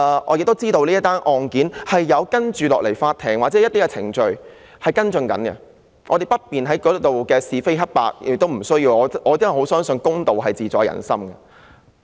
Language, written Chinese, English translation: Cantonese, 我知道法庭也在跟進這宗案件，所以我們不便亦不需要在此討論是非黑白，因為我相信公道自在人心。, I know that the court is also following up on this case so we do not need to discuss right and wrong here because I believe justice is in the hears of the people